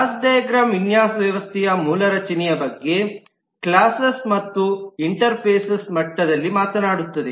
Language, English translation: Kannada, Class diagram talks about the basic structure of the design system at the level of classes and interfaces